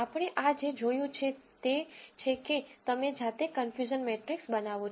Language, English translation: Gujarati, What we have seen this is the way you generate the confusion matrix manually